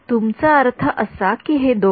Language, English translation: Marathi, You mean these two guys